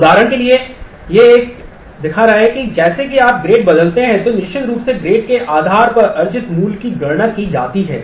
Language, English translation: Hindi, For example, this is showing one that as you change the grades then certainly based on the grades credit earned value is computed